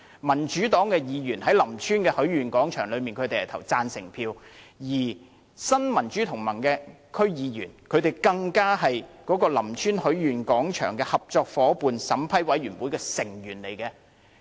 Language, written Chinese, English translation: Cantonese, 民主黨的區議員就林村許願廣場的項目是投贊成票的，而新民主同盟的區議員更是林村許願廣場合作伙伴申請評審委員會的成員。, The DC member of the Democratic Party voted in favour of the project of Lam Tsuen Wishing Square . The DC member of Neo Democrats is even a member of the Partnering Organization Vetting Committee for Lam Tsuen Wishing Square